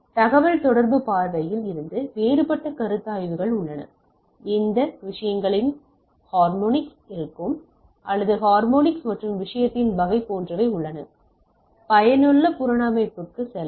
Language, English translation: Tamil, So, there are different consideration from the communication point of view, there are consideration like take that which harmonics of the things will be there or harmonics and type of thing, how many you can go to gave effective reconstruction